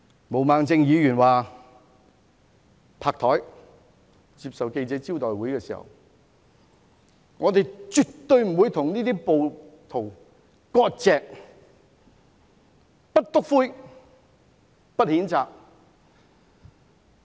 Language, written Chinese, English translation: Cantonese, 毛孟靜議員在記者招待會上拍桌表示，絕對不會與這些暴徒割席，不"篤灰"，不譴責。, At a press conference Ms Claudia MO pounded the table and said that she would not sever ties with rioters would not snitch on rioters and would not condemn them